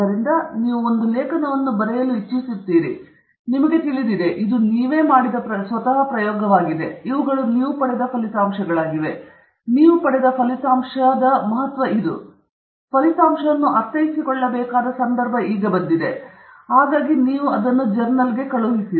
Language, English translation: Kannada, So, you write an article in which you write, you know, this is the experiment you did; these are results you obtained; this is the significance of the result that you obtained; this is the context in which the result has to be understood, and then, you send it off to a journal